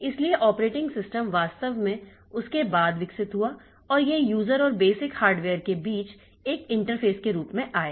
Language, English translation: Hindi, So, operating system actually evolved after that and it came as an interface between the user and the basic hardware